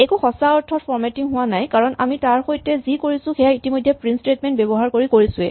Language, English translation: Assamese, There is no real formatting which has happened because whatever we did with that we could have already done using the existing print statement that we saw